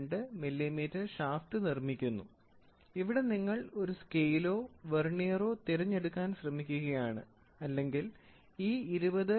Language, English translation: Malayalam, 02 millimeter and here you are trying to choose a scale or a vernier or you are trying to take a screw gauge which can measure this 20